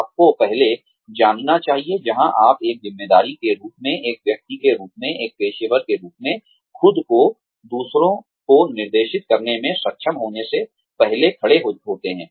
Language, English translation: Hindi, You should, first know, where you stand as an employee, as a person, as a working professional, yourself, before being able to direct others